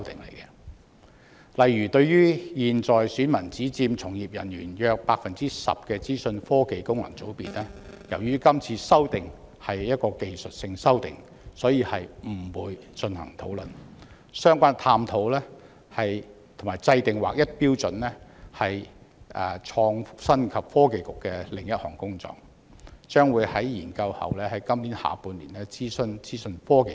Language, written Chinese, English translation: Cantonese, 例如，對於現在選民只佔從業人員約 10% 的資訊科技界功能界別，由於今次修訂為技術性修訂，所以不會進行討論，相關探討及制訂劃一標準是創新及科技局的另外一項工作，將在研究後於今年下半年諮詢資訊科技界。, For example for the Information Technology FC where electors account for only around 10 % of practitioners no discussion will be held as the amendments are technical amendments . The relevant exploration and the formulation of unified standards are another task of the Innovation and Technology Bureau and the information technology sector will be consulted in the second half of this year following the conclusion of studies